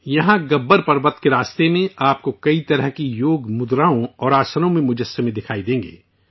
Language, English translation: Urdu, Here on the way to Gabbar Parvat, you will be able to see sculptures of various Yoga postures and Asanas